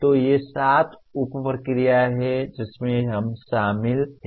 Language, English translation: Hindi, So these are the seven sub processes that we are involved